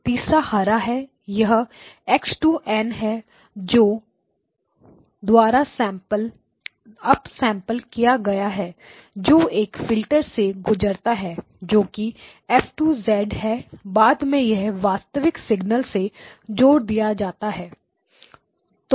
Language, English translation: Hindi, The third one is the green; it is x2 of n up sampled by a factor of 3 passed through a filter F2 of z which is then added on to this original signal